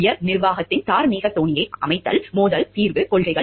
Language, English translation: Tamil, Setting of moral tone by the top management conflict resolution policies